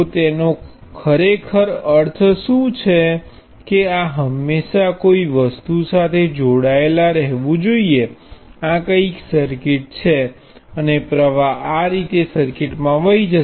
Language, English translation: Gujarati, So what it really means is that this has to be always connected to something, this is some circuit and a current will be flowing like this into the circuit